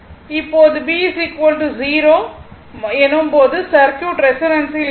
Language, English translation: Tamil, When this part will be 0, the circuit will be in resonance right